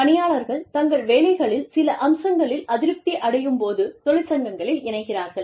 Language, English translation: Tamil, Employees join unions, when they are dissatisfied, with certain aspects of their jobs